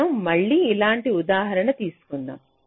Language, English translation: Telugu, so we again take an examples like this